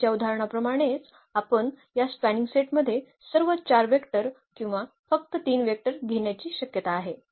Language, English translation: Marathi, Like in the earlier example we have possibility in this spanning set taking all those 4 vectors or taking only those 3 vectors